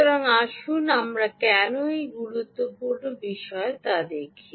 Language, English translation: Bengali, ok, so lets actually see why is that an important thing